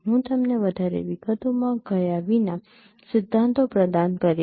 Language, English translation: Gujarati, I will provide you the principles without going into much details